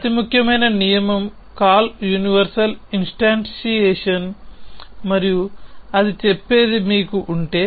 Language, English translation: Telugu, The most important rule is call universal instantiation and what it says is that if you have